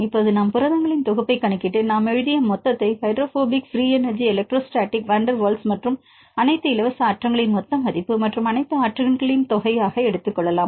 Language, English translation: Tamil, Also we use various approximations in this model; now we can calculate set of proteins and take the total what we wrote is the total value of hydrophobic free energy electrostatic, van der Waals and all the free energies and take that sum of all the energies